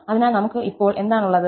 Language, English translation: Malayalam, So, what we are getting